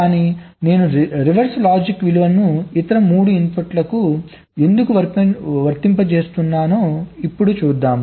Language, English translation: Telugu, but why i am applying the reverse logic value to the other three inputs